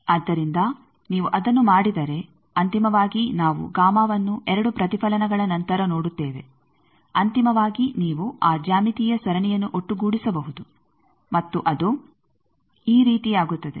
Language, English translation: Kannada, So, if you do that finally, we will see that gamma after two reflections finally, you can sum that geometric series and it becomes like these